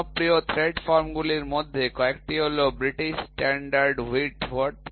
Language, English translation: Bengali, Some of the popular threads forms are British Standard Whitworth